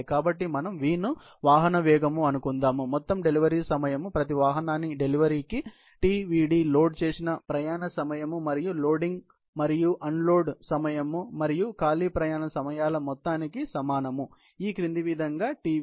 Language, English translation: Telugu, So, then if supposing, we consider V to be the vehicle’s speed, then the total delivery time, per delivery per vehicle, Tdv will be given by the sum of loaded travel time and loading and unloading time and the empty travel time as follows